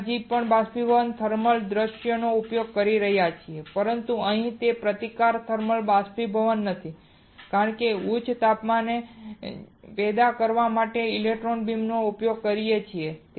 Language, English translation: Gujarati, We are still using the thermal view of evaporating, but here it is not a resistive thermal evaporation, we are using a electron beam to generate the high temperature